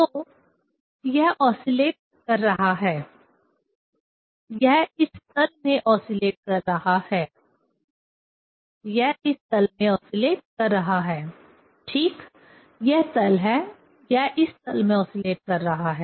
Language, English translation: Hindi, So, it is oscillating; it is oscillating in this plane, it is oscillating in this plane, right; this is the plane it is osculating in this plane